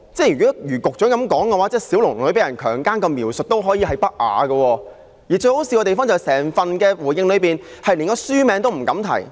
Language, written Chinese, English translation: Cantonese, 如果如局長所說，那麼小龍女被強姦的描述也可屬不雅，而最可笑的是，政府在整個主體答覆中連書名也不敢提。, According to the Secretary the description of Xiaolongnü being sexually assaulted may also cause indecency . More ridiculous still the Government dares not mention the name of the book throughout the main reply